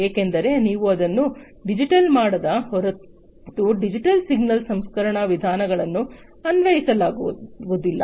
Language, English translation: Kannada, Because unless you make it digital, digital signal processing methods cannot be applied